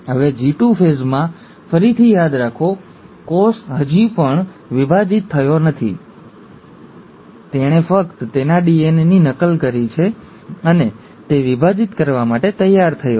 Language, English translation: Gujarati, Now in the G2 phase, again, remember, the cell has still not divided, it has only duplicated its DNA, and it's ready to divide